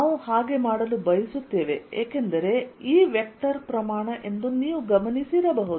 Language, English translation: Kannada, we want to do so because you may have noticed by now that e is a vector quantity